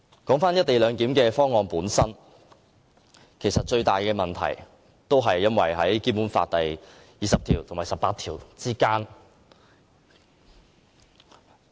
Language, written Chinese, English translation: Cantonese, 回到"一地兩檢"方案本身，其實最大的問題關乎《基本法》第二十條及第十八條。, Let me go back to the co - location arrangement . The biggest problem actually lies in the application of Article 20 and Article 18 of the Basic Law